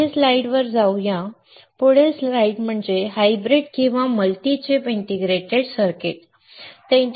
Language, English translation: Marathi, So, let us go to the next slide the next slide is hybrid or multi chip integrated circuits